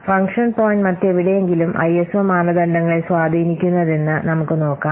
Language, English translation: Malayalam, We'll see how function point is included somewhere else as ISO standards